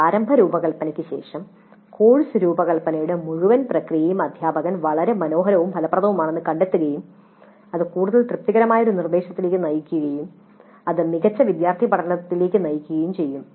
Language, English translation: Malayalam, But after the initial design, the teacher would even find the entire process of course is very pleasant, fruitful and it would lead to an instruction which is more satisfactory and it would lead to better student learning